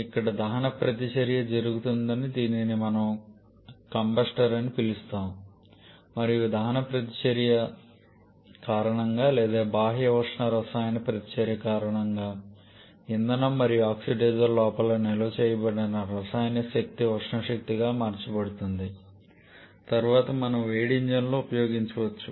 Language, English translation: Telugu, There goes the combustion reaction which we can call a combustor and because of this combustion reaction or because of this exothermic chemical reaction the chemical energy stored inside the fuel and oxidiser gets converted to thermal energy which we can subsequently use in the heat engine